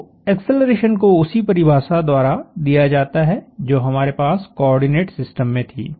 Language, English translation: Hindi, So, the acceleration is given by the same definition that we had in the coordinate system